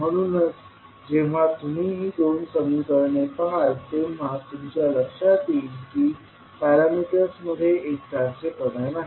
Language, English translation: Marathi, So, when you see these two equations you will come to know that there is no uniformity in the parameters